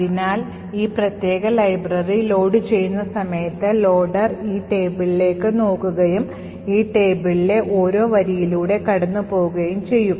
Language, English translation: Malayalam, Thus, at a time when this particular library gets loaded, the loader would look into this table and passed through each row in this table